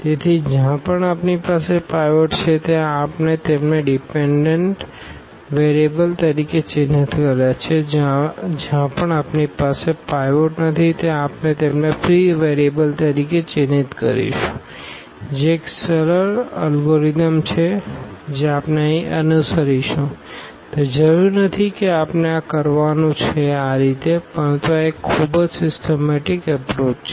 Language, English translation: Gujarati, So, wherever we have a pivot we marked them as dependent variables and wherever we do not have a pivot we will mark them free variable that is a that is a simple algorithm we will follow here though it is not necessary that we have to do in this way, but this is a very systematic approach